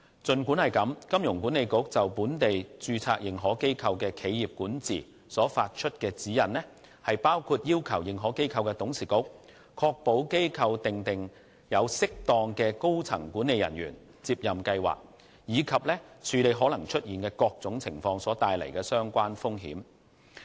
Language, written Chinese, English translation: Cantonese, 儘管如此，金管局就本地註冊認可機構的企業管治所發出的指引，包括要求認可機構的董事局確保機構訂定有適當的高層管理人員接任計劃，以及處理可能出現的各種情況所帶來的相關風險。, However HKMA has issued guidance on corporate governance of locally - incorporated AIs which includes the expectation on the boards of AIs to ensure that appropriate succession plans are in place for senior management and to manage the associated risks in a range of possible scenarios